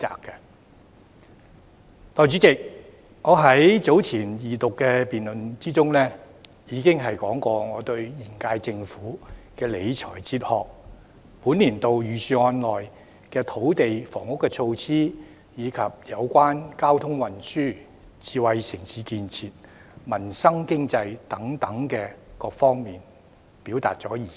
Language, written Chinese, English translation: Cantonese, 代理主席，我在早前的二讀辯論中，已談論過現屆政府的理財哲學，並就本年度財政預算案內有關土地及房屋措施、交通運輸、智慧城市建設、民生、經濟等各方面，表達了意見。, Deputy Chairman in the Second Reading debate earlier on I already talked about the fiscal philosophy of the current - term Government and expressed my views on various aspects of this years Budget such as land and housing measures transport smart city development peoples livelihood and economy